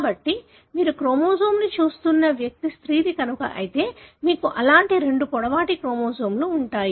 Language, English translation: Telugu, So, if the individual for whom you are looking at the chromosome is a female, you would have two such long chromosomes that is XX